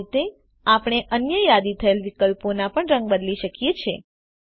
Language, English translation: Gujarati, In this way, we can change the colour of the other listed options too